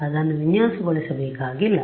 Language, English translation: Kannada, You do not have to design it